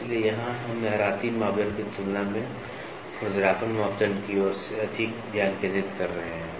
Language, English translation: Hindi, So, here we are more focused towards roughness parameter as compared to that of waviness parameter